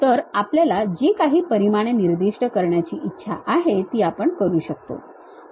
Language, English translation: Marathi, So, whatever the dimension we would like to really specify that we can do that